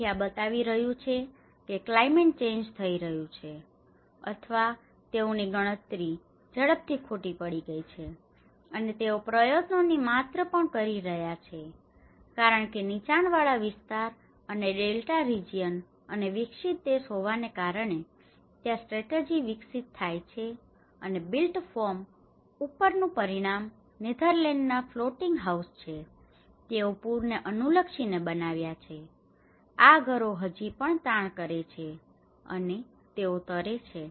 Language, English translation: Gujarati, So, this shows that climate change is happening and the; or their calculations went wrong in very fast and the amount of effort they are also making the because being a low lying area and the Delta region and being a developed country, there are developing strategies and one of the outcome on the built form is the floating houses in Netherlands, these are like a irrespect of the flood, these houses they still strain and they can float